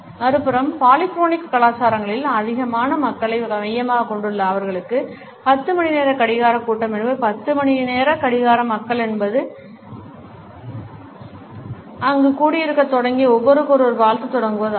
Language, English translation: Tamil, On the other hand polychronic cultures are more people centered and for them a 10 o clock meeting means at 10 o clock people going to start assembling there and start greeting each other